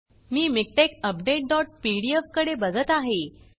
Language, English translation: Marathi, So I am looking at MikTeX update dot pdf